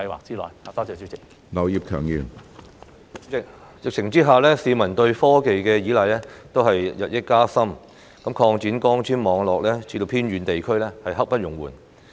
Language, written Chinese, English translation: Cantonese, 主席，在疫情下，市民對科技的依賴日深，擴展光纖網絡至偏遠地區是刻不容緩的。, President under the pandemic people rely more heavily on technology and it is imperative to extend fibre - based networks to remote areas